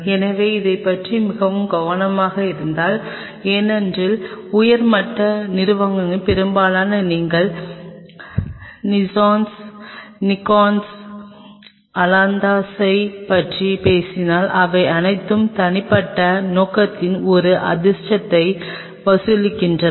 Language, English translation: Tamil, So, be very careful on this because these objectives most of that top companies whether you talk about Zeiss Nikon ailanthus all of them charges a fortune for individual objective